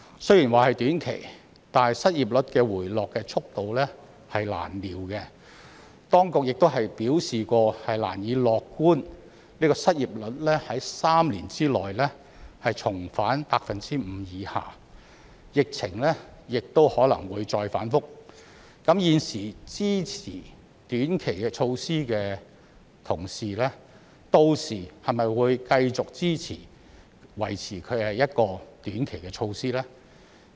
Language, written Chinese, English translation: Cantonese, 雖說這是短期措施，但失業率回落速度難料，當局曾表示難以樂觀失業率在3年內重返 5% 以下，疫情亦可能會再反覆，現時支持短期措施的同事屆時會否繼續支持維持短期的措施呢？, While it is claimed that this will be a short - term measure it is hard to predict how quickly the unemployment rate will fall . The authorities have also indicated that we should not be optimistic that the unemployment rate will drop to below 5 % again within three years and the epidemic situation may remain volatile . Will Honourable colleagues who support this short - term measure at present continue to support the retaining of this short - term measure by then?